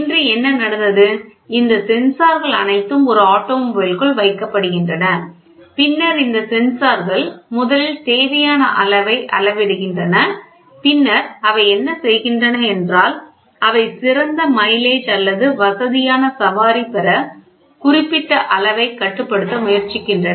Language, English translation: Tamil, Today what has happened, all these sensors are placed inside an automobile and then these sensors first measure the required quantity and then what they do is they try to control certain quantity to get the best mileage or a comfortable ride